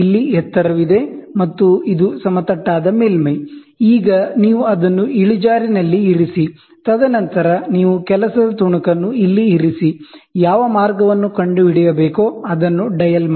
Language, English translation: Kannada, And here what you do is you this is a flat surface, now you place it at an incline, and then you put the work piece here then, dial it to find out what way the 0